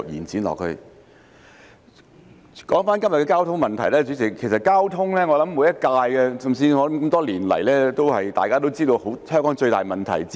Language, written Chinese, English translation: Cantonese, 主席，回到今天的交通問題，其實多年來每屆立法會也知道交通是香港最大問題之一。, President returning to todays motion on traffic problem in fact the Legislative Council of every term knows that traffic is one of the biggest problems in Hong Kong over the years